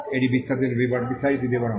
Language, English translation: Bengali, This is the detailed description